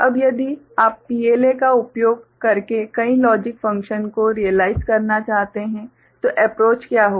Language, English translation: Hindi, Now, if you want to realize a multiple logic function using PLA what will be the approach ok